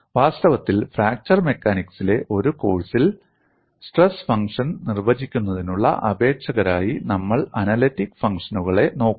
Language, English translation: Malayalam, In fact, in a course in fracture mechanics, we would look at analytic functions as candidates for defining the stress functions